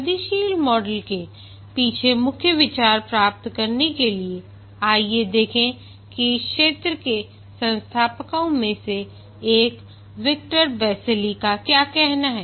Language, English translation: Hindi, To get the main idea behind the incremental model, let's see what Victor Basilie, one of the founders of this area has to say